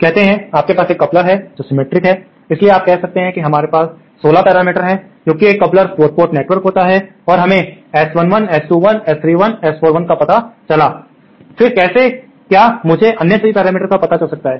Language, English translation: Hindi, Say you have a coupler which is symmetric, so you might say that we have 16 parameters in a coupler because it is a 4 port network and we found out S11, S 21, S 31 and S 41, then how come I can find out all the other parameters